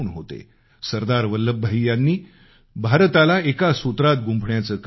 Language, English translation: Marathi, Sardar Vallabhbhai Patel took on the reins of weaving a unified India